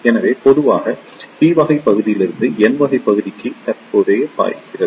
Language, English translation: Tamil, So, in general the current flows from the p type region to the n type region